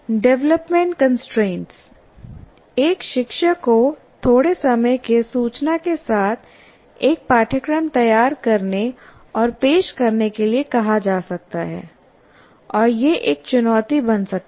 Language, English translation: Hindi, A teacher may be asked to design and offer a course with a short time notice and that can become a challenge